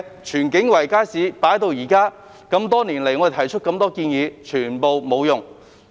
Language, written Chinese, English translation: Cantonese, 荃景圍街市已丟空多年，我們多年來提出的多項建議皆沒有用。, The Tsuen King Circuit Market has been left vacant for years and many suggestions made by us over the years have not been adopted